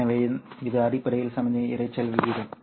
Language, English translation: Tamil, So that's essentially the signal to noise ratio